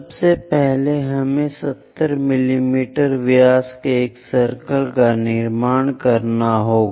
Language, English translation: Hindi, First, we have to construct a circle of diameter 70 mm